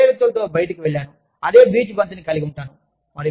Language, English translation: Telugu, And, go out, with the same people, have the same beach ball